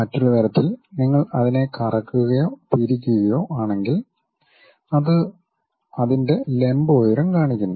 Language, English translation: Malayalam, In other way if you are slightly rotating twisting it, then it shows that vertical height of that